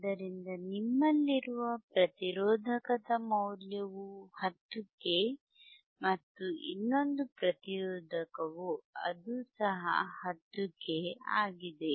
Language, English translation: Kannada, So, what is the value of resistor that you have is 10 k 10 k and the another resistor is